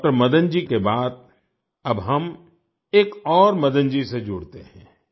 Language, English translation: Hindi, Madan ji, we now join another Madan ji